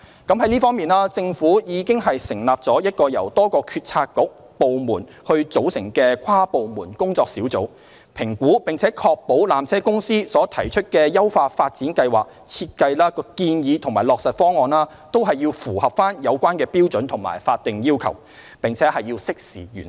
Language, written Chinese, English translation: Cantonese, 就這方面，政府已經成立了一個由多個政策局/部門組成的跨部門工作小組，評估並確保纜車公司所提出的優化發展計劃設計建議和落實方案均符合有關標準和法定要求，並適時完成。, In this regard the Government has formed an inter - departmental working group comprising members from various bureaux and departments to examine PTCs upgrading plan and to monitor the works to ensure that the requisite statutory requirements will be complied with in a timely manner